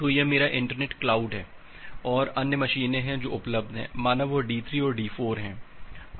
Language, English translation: Hindi, So, this is my internet cloud and there are other machines which are available there say D3 and D4